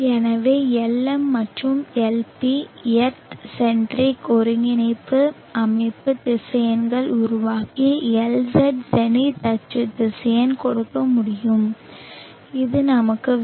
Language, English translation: Tamil, So Lm and Lp earth centric coordinate system vectors can form and give Lz the zenith axis vector which is what we want, so let us say Lz=Lm cos